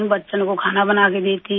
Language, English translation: Hindi, I cook for the children